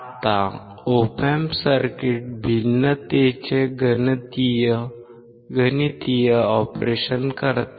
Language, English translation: Marathi, Now the Op Amp circuit performs the mathematical operation of differentiation